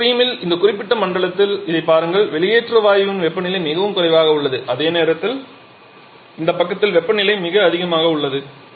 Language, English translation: Tamil, In one stream look at this in this particular zone the temperature of the exhaust gas is much lower whereas on this side the temperature is much higher